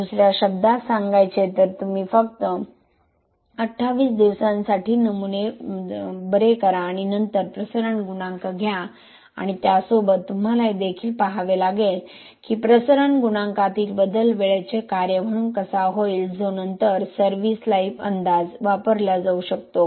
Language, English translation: Marathi, In other words it is not just you cure the specimens for 28 days and then take the diffusion coefficient and then along with that you also have to see how the change in the diffusion coefficient would be as a function of time which can then be used for service life estimation